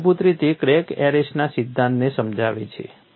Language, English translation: Gujarati, This basically illustrates the principle in crack arrest